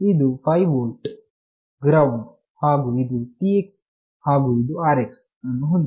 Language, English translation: Kannada, It has got this is 5 volt, ground, and this is the TX and this is the RX